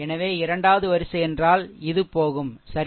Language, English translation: Tamil, So, second row means this one will go, right